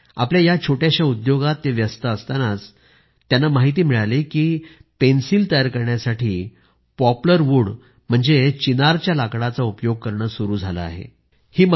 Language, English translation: Marathi, He was engaged in his small business when he came to know that Poplar wood , Chinar wood is being used in manufacturing pencils